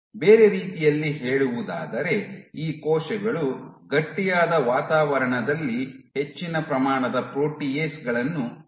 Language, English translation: Kannada, In other words these cells secrete more amount of proteases on a stiffer environment